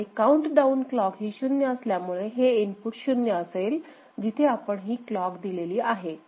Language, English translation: Marathi, So, countdown clock is 0, this input is 0 right whenever we are feeding clock here right